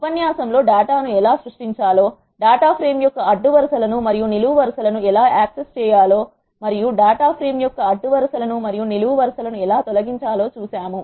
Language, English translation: Telugu, In this lecture we have seen how to create data, frames how to access rows and columns of data frame and how to delete rows and columns of a data frame and so on